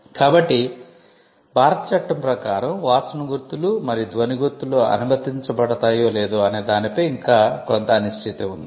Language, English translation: Telugu, So, there is still some uncertainty as to whether smell marks and sound marks will be allowed under the Indian law